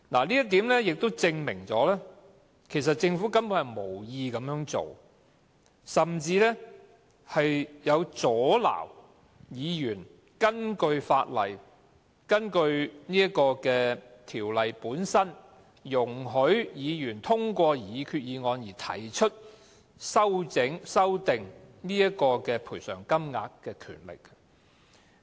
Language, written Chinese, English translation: Cantonese, 這點亦證明，其實政府根本無意這樣做，甚至阻撓議員使用根據《致命意外條例》本身，容許議員通過擬議決議案而提出修訂賠償金額的權力。, This argument shows that the Government is simply unwilling to take any actions and it even wants to stop Members from exercising their very power under the Ordinance to move a resolution to amend the bereavement sum